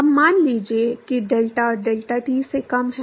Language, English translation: Hindi, Now, suppose if delta is less than delta t